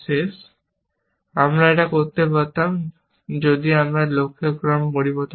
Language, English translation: Bengali, I could do it here, if I change the order of this goal